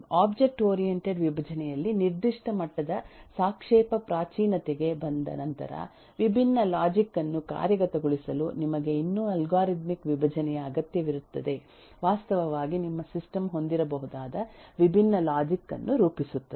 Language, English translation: Kannada, After you have come to a a certain level of eh relative primitive in the object eh oriented decomposition you will still need algorithmic decomposition to actually implement different logic actually model different logic that your system may have